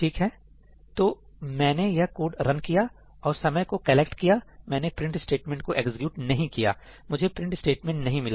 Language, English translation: Hindi, Okay, so, I ran this code now and actually when I collected the time I did not execute the print statement; okay, I did not find the print statement